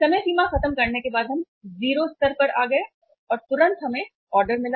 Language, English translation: Hindi, After finishing the lead time we came down to 0 level and immediately we received the order